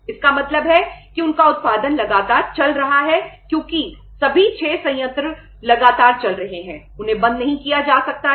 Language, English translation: Hindi, It means their production is continuously going on because all the 6 plants they are continuously the production is going on that cannot be stopped